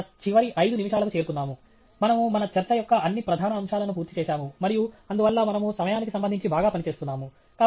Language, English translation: Telugu, We are down to our last five minutes; we have completed all major aspects of our talk and so we are doing perfectly fine with respect to time